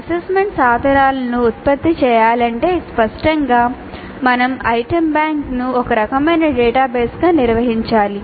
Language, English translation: Telugu, In an automated way if assessment instruments are to be generated then obviously we must have the item bank organized as some kind of a database